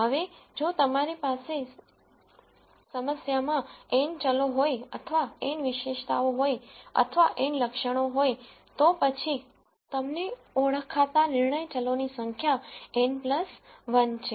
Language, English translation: Gujarati, Now, if you have n variables in your problem or n features or n attributes then the number of decision variables that you are identifying are n plus 1